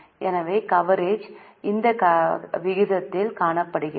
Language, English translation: Tamil, So, the coverage is seen in this ratio